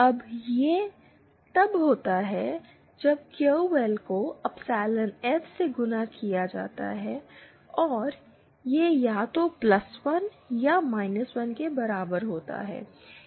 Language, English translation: Hindi, And that value happens when QL multiplied by epsilon F is equal to either +1 or 1